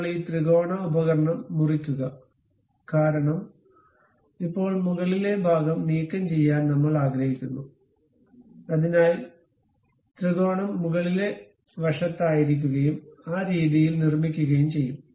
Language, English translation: Malayalam, Now, reverse this triangular tool cut because now we want to remove the top portion, so the triangle will be on top side and make it in that way